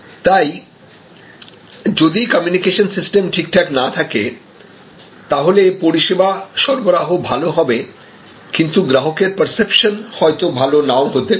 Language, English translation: Bengali, And if that communication system is not proper, then the service delivery will be good, but the customer perception maybe not that good